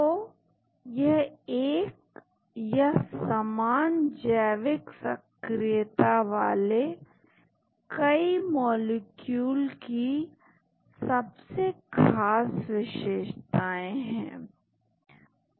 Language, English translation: Hindi, So, these are the essential features of one or more molecules with the same biological activity